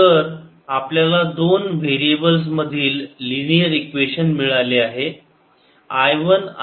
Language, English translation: Marathi, so we have got to linear equations in two variables, i one and i two, so we can solve this equations